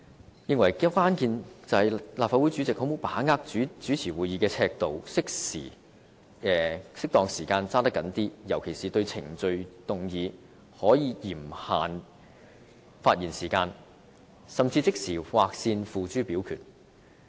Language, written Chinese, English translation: Cantonese, 他認為關鍵是立法會主席能否把握好主持會議的尺度、適當時候抓緊一些，尤其是對程序議案可嚴限發言時間，甚至即時劃線付諸表決。, According to him the crux is whether the President can use a proper yardstick for chairing Council meetings . The President has to take a tough line in some occasions especially in respect of procedural motions for which he can strictly limit Members speaking time or he can even draw the line and then put the motions to vote